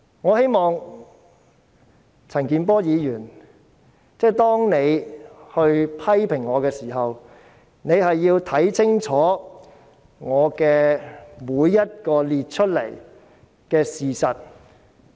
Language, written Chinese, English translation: Cantonese, 我希望陳健波議員批評我時，要看清楚我列舉的每件事實。, I hope that when criticizing me Mr CHAN Kin - por will carefully look at every piece of fact cited by me